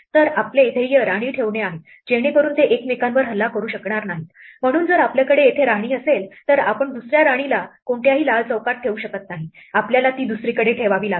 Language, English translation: Marathi, So, our goal is to place queens so that, they do not attack each others, so if we have a queen here then we cannot put another queen in any of the red squares, we have to put it somewhere else